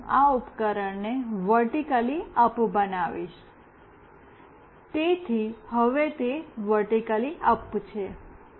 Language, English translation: Gujarati, Now, I will make this device vertically up, so it is vertically up now